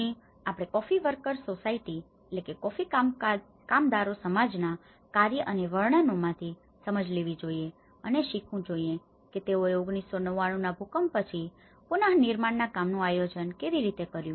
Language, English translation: Gujarati, So, I am going to take the learnings and understandings from his narratives and from his work and so, that we can learn how the coffee workers society, how they all have organized the reconstruction after the earthquake of 1999